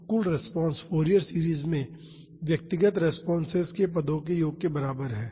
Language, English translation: Hindi, So, the total response is equal to the sum of the responses to the individual terms in the Fourier series